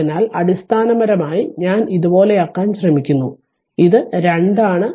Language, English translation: Malayalam, So, basically the circuit I am trying to make it like this; this is 2 right